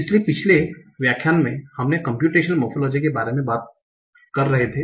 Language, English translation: Hindi, So in the last lecture we were talking about computational morphology